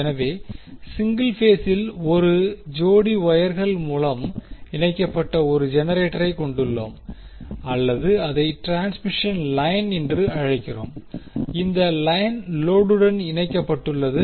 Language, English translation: Tamil, So, in case of single phase the power system we consist of 1 generator connected through a pair of wires or we call it as transmission line and this line is connected to load